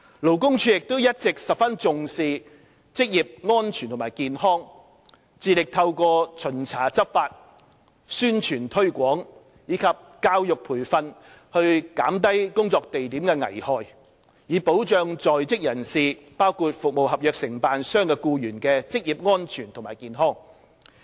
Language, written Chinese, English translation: Cantonese, 勞工處亦一直十分重視職業安全及健康，致力透過巡查執法、宣傳推廣及教育培訓減低工作地點的危害，以保障在職人士，包括服務合約承辦商的僱員的職業安全及健康。, LD has all along attached great importance to occupational safety and health and striven to reduce hazards in workplaces through inspections law enforcement publicity and promotional work and education and training for the protection of employees including the occupational safety and health of employees employed by service contractors